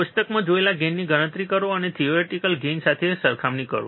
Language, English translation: Gujarati, Calculate the gain observed in the table and compare it with the theoretical gain